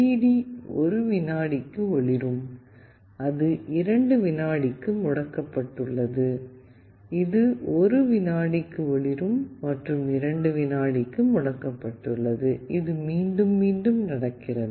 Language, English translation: Tamil, The LED is glowing for 1 second and it is off for 2 second, you see it is glowing for 1 second and it is off for 2 second and this is repeating